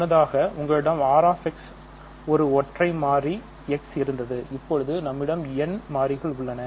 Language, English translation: Tamil, Earlier we had R square bracket a single variable X and now we have n variables